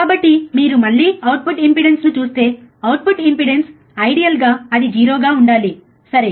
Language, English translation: Telugu, So, if you again see output impedance, output impedance ideally it should be 0, right